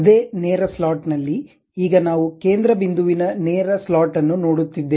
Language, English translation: Kannada, Now, in the same straight slot, now we are going with something like center point straight slot